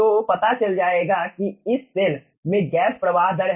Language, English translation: Hindi, so will be finding out, this is the gas flow rate in this cell right now